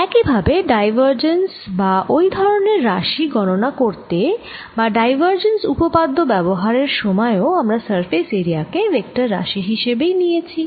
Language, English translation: Bengali, similarly, when we were calculating divergence and things like those, and when you use divergence theorem, we took surface area as a vector